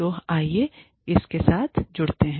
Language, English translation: Hindi, So, let us get on, with it